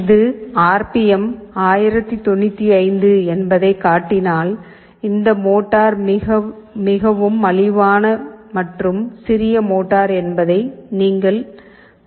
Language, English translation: Tamil, If it is showing the RPM is 1095, you see this motor is a very cheap and small motor, so its speed is not very stable